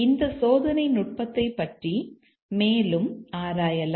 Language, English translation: Tamil, Let's explore further about this test technique